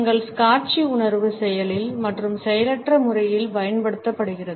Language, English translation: Tamil, Our visual sense is used in an active manner as well as in a passive manner